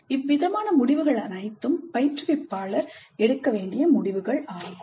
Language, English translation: Tamil, So these are all the decisions that the instructor has to make